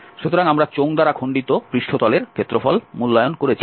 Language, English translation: Bengali, So, we have evaluated the surface area which was cut by the cylinder